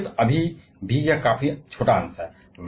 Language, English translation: Hindi, Nucleus still is this quite small fraction